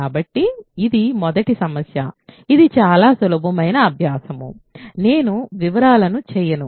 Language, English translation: Telugu, So, that is the first problem, this is a very easy exercise, I will not do details